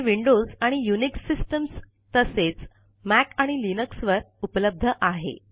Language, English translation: Marathi, It is available on windows and all unix systems, including Mac and linux